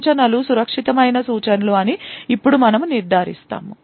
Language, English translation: Telugu, Now we ensure that the instructions are safe instructions